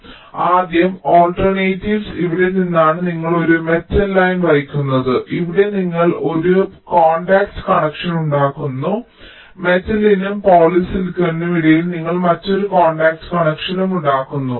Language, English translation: Malayalam, so alternative is a: from here you carry a metal line and here you make a contact connection and here between metal and polysilicon you make another contact connection